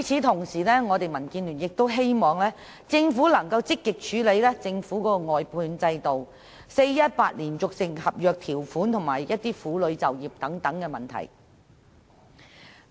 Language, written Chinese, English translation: Cantonese, 同時，民建聯亦希望政府能積極處理其外判制度、俗稱 "4-18" 的連續性合約條款及婦女就業等問題。, At the same time DAB also hopes that the Government can proactively deal with such issues as its outsourcing system the continuous contract term commonly known as 4 - 18 and employment for women